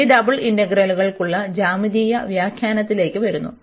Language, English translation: Malayalam, And coming to the geometrical interpretation for these double integrals